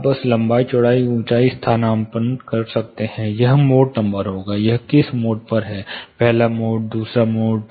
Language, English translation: Hindi, Now you can substitute length width and height; this will be more number, which number of mode it is; the first mode, second mode